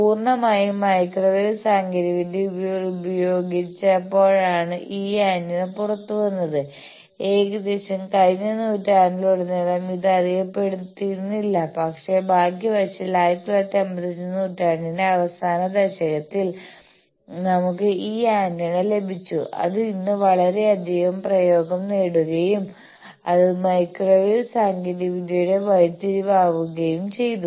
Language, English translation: Malayalam, Now, this is purely when the microwave technology was applied this antenna came out it was not known throughout almost the last century, but fortunately in the last decade of the century 1995, we got this antenna which has got tremendous application today and it has changed the whole ball game of microwave technology